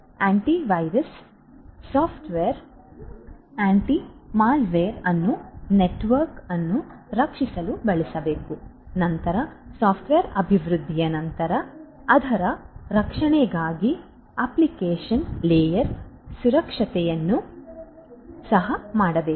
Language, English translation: Kannada, Antivirus antimalware software should be should be used in order to protect the network, then application layer security for protection of the software after it is development that also should be done